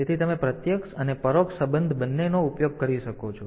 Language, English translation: Gujarati, So, you can use both direct and indirect addressing